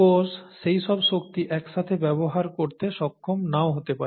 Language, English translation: Bengali, The cell may not be able to use all that energy at that time